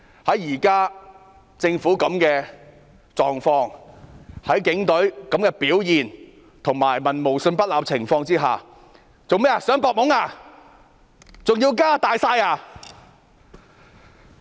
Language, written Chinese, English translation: Cantonese, 以現時政府的狀況、警隊的表現，以及在民無信不立的情況下，政府想"搏懵"嗎？, Given the prevailing condition of the Government the performance of the Police and the lack of trust of the people in the Government is the Government trying to take advantage by confusing the public?